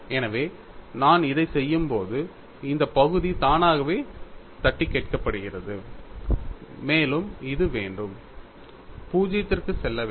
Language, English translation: Tamil, So, when I do this, this term automatically get knocked off and we also want to have this should go to 0